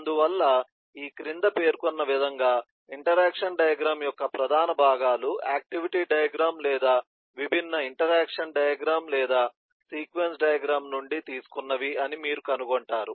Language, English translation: Telugu, therefore, you will find that the major components of the interaction diagram, as listed below, are borrowings from the activity diagram or the elements of different interaction diagram, or the sequence diagram to be more precise